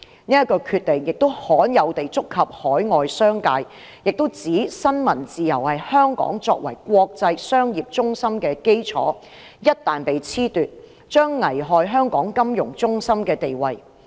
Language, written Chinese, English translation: Cantonese, 此決定亦罕有地觸及海外商界，並指出新聞自由是香港作為國際商業中心的基礎，一旦被褫奪，將危害香港金融中心的地位。, The decision has also rarely aroused the concern of the overseas business sector . It was pointed out that as freedom of the press was the foundation of Hong Kong as an international business centre once it was gone Hong Kongs status as a financial centre would be jeopardized